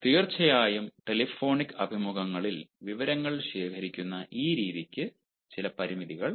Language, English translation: Malayalam, of course, this method ah of ah gathering information ah through telephonic interview has got certain limitations